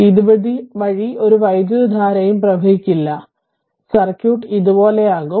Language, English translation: Malayalam, So, that no current will flow so circuit will be like this